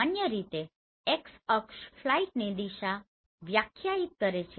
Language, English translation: Gujarati, In general x axis defines the direction of the flight